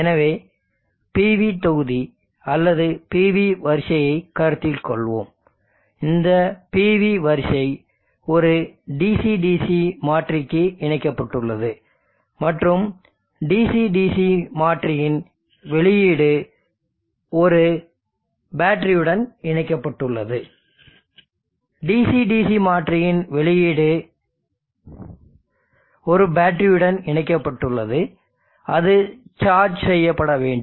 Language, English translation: Tamil, So let us consider this PV module or a PV array and this PV array is connected to a DC DC converter and an output of the DC DC converter is connected to a battery that needs to be charged